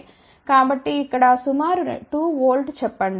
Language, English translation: Telugu, So, let us say approximately 2 volt over here ok